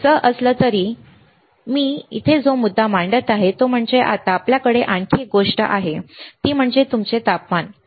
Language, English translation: Marathi, But anyway, the point that I am making here is, now we have one more thing which is your temperature